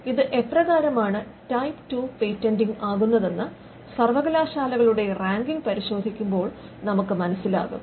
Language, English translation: Malayalam, Now we will see this when we look at the ranking of universities how it is type 2 patenting